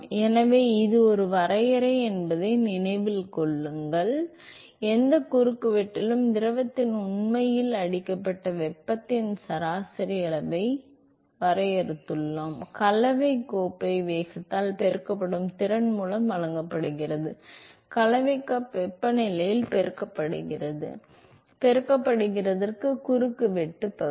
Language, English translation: Tamil, So, note that it is a definition, we defined the average amount of heat that is actually scored in the fluid at any cross section, is given by the capacity multiplied by the mixing cup velocity, multiplied by the mixing cup temperature, multiplied by the cross sectional area